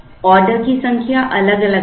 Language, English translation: Hindi, The number of orders will be different